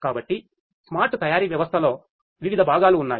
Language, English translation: Telugu, So, there are different parts of the smart manufacturing system